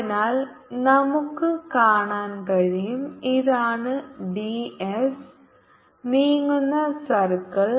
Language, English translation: Malayalam, so so we can see this is the circle at which d s is moving